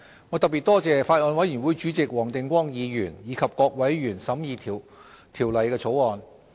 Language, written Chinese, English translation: Cantonese, 我特別多謝法案委員會主席黃定光議員及各委員審議《條例草案》。, I would like to particularly thank Mr WONG Ting - kwong Chairman of the Bills Committee and various members for scrutinizing the Bill